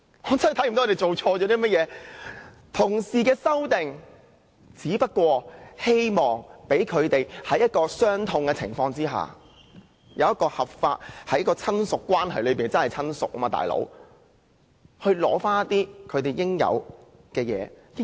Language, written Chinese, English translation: Cantonese, 同事提出的修正案，只希望讓他們在一個傷痛的情況下，以一個合法的親屬關係——他們真的是親屬，"老兄"——取回他們應有的東西。, Colleagues proposed the amendments to allow them to claim the things to which they are entitled in the lawful capacity of a relative―they are really the relative of the deceased buddy―in that mournful setting